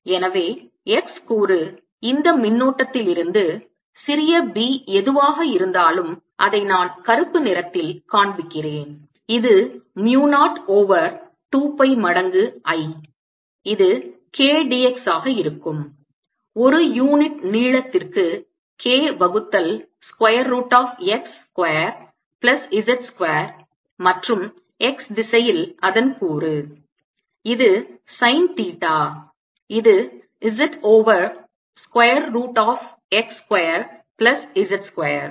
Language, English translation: Tamil, ok, and therefore the x component is going to be whatever small b is coming from this current here, which i am showing in black, which is mu, not over two pi times i, which is going to be k, d, x polynomial length is k divided by square root of x square plus z square and is component in the x direction, which is in sin theta, which is going to be z over square root of x square, z square